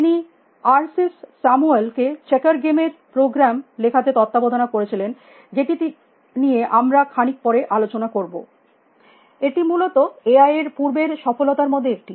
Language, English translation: Bengali, He supervised arsis into writing of program for playing the game of checkers, which you will talk about little bit, which was one of the early successive of AI essentially